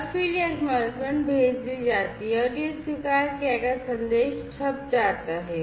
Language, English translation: Hindi, And then this acknowledgement is sent and this acknowledged message is printed